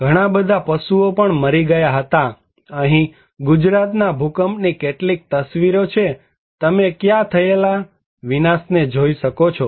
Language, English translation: Gujarati, There are also lots of cattle dead, here are some of the picture of Gujarat earthquake, you can see the devastations that happened there